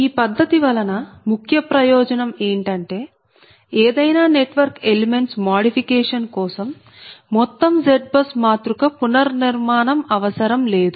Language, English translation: Telugu, so main, main advantage of this method is that any modification of the network element does not require complete rebuilding of z bus matrix